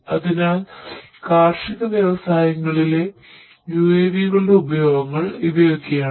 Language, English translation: Malayalam, So, this is the use of UAVs in the agricultural industries